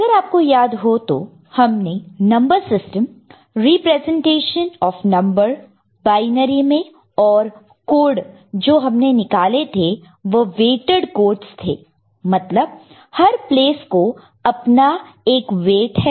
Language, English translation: Hindi, If you remember, we discussed number system and the representation of numbers in binary and the code that we arrived at were weighted codes in the sense that every place has got certain weight associated with it